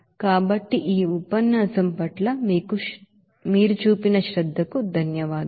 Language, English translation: Telugu, So thank you for your attention to this lecture